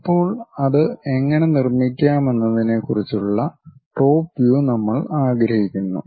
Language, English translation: Malayalam, Now, we would like to have it in top view how to construct that